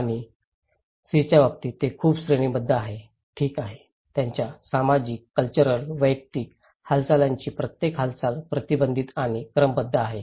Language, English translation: Marathi, And in case of C which is very hierarchical okay, every movement of their social, cultural personal movements are restricted and ordered